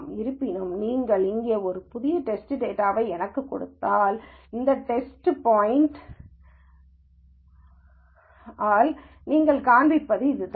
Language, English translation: Tamil, However, if you give me a new test data here, so which is what you shown by this data point